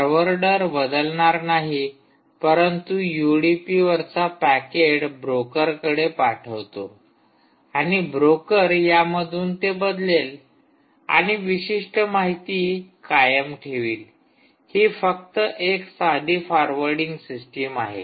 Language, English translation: Marathi, it will simply forward that packet on udp to the broker and the broker in turn will change it and maintain a certain information